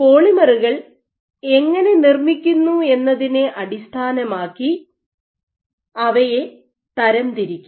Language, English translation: Malayalam, You can also classify the polymers based on the process by which how they are made